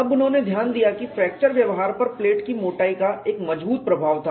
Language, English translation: Hindi, However researches have noticed that the thickness of the plate had a strong influence on fracture behavior